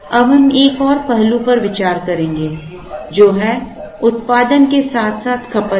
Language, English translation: Hindi, Now, we would look at another aspect which is production as well as consumption